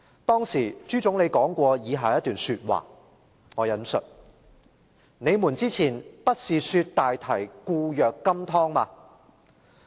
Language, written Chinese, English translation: Cantonese, 當時朱總理說過以下一番話："你們之前不是說大堤固若金湯嗎？, Premier ZHU then said I quote Didnt you say that the dam was impregnable?